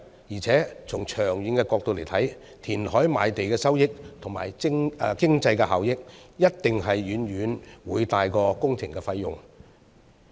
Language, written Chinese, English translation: Cantonese, 而且從長遠角度來看，填海賣地的收益和經濟效益，一定是遠遠會大於工程費用。, Besides from a long - term perspective the proceeds and economic benefits of land reclamation must be far more than the project cost